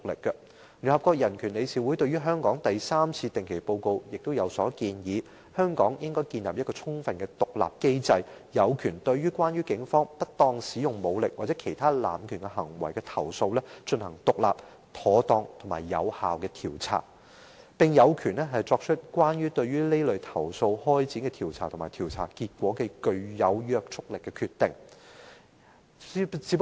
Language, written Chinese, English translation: Cantonese, 聯合國人權理事會在對香港的第三次定期報告中，亦建議香港應該建立一個充分獨立的機制，有權對關於警方不當使用武力或其他濫權行為的投訴進行獨立、妥當和有效的調查，並有權對此類投訴開展的調查和調查結果，作出具約束力的決定。, In the third periodic report of the United Nations Human Rights Council on Hong Kong it is proposed that a fully independent mechanism be mandated to conduct independent proper and effective investigation into complaints about the inappropriate use of force or other abuse of power by the police and empowered to formulate binding decisions in respect of investigations conducted and findings regarding such complaints